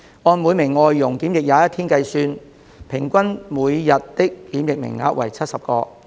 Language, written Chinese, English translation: Cantonese, 按每名外傭檢疫21天計算，平均每日的檢疫名額為70個。, Calculating on the basis that each FDH is subject to quarantine for 21 days the daily quota for quarantine is 70 on average